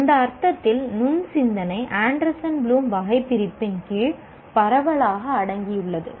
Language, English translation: Tamil, To that extent, the critical thinking in that sense is broadly subsumed under the Anderson Bloom taxonomy